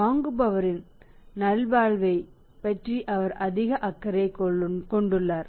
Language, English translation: Tamil, He is more concerned about the well being of the buyer